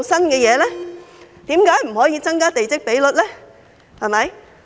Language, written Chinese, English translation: Cantonese, 為何不可以增加地積比率？, Why can the plot ratio not be increased?